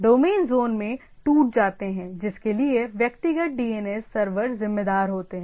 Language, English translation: Hindi, Domains are broken into zone for which individual DNS server are responsible